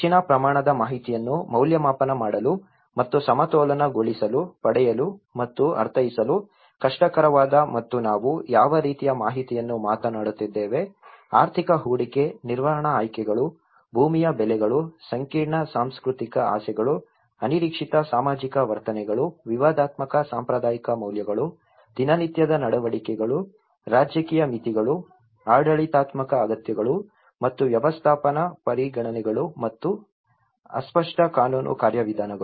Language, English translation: Kannada, To evaluate and balance great amounts of information, that is difficult to obtain and to interpret and what kind of information we are talking, the information about economic investment, the management options, land prices, complex cultural desires, unexpected social attitudes, controversial traditional values, day to day behaviours, political limitations, administrative needs, and logistical considerations and fuzzy legal procedures